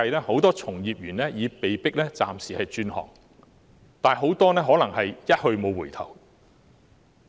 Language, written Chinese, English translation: Cantonese, 很多從業員為了生計已被迫暫時轉行，其中很多可能是"一去無回頭"。, Many practitioners are forced to temporarily switch to another profession to make a living and a lot of them may not come back